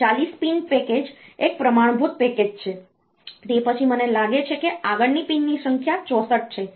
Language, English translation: Gujarati, So, after so, this forty pin package is a standard package; so after that the number of pins next one I think is 64